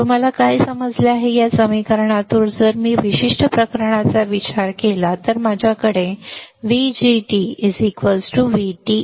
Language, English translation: Marathi, What you understood is that from this equation if I consider this particular case, then I have then I have VDG equals to V T